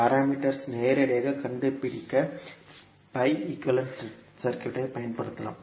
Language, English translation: Tamil, We can use the pi equivalent circuit to find the parameters directly